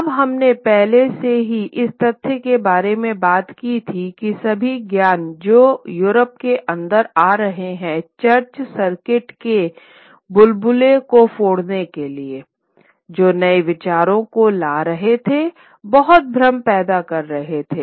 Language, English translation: Hindi, Now, we had already talked about the fact that all the knowledge that was coming in to Europe to break the bubble, the bubble of the church circuits were, which were bringing in new ideas, it created a lot of confusion